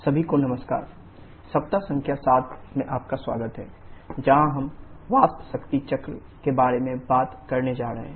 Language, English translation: Hindi, Hello everyone, welcome to week number 7 where we are going to talk about the vapour power cycle